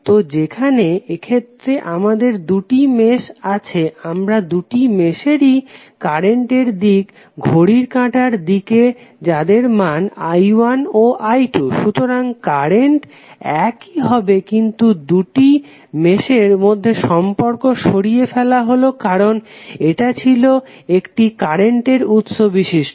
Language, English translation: Bengali, So, like in this case we have two meshes we have assumed that both are in the clockwise direction with i 1 and i 2 values, so current will remains same but the link between these two meshes have been removed because it was containing the current source